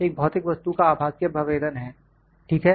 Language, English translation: Hindi, This is virtual representation of a physical object, ok